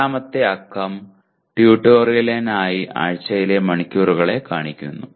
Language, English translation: Malayalam, Second digit corresponds to the hours per week for tutorial